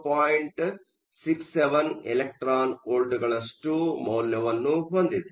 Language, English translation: Kannada, 67 electron volts